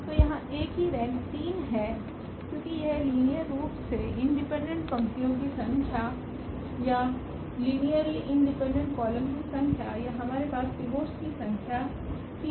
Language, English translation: Hindi, So, here the rank of A is 3 because it s a number of linearly independent rows or number of linearly independent columns or the number of pivots we have this rank 3